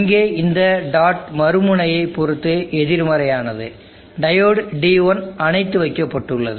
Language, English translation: Tamil, This dot here also is negative with respect to the other N diode D1 is off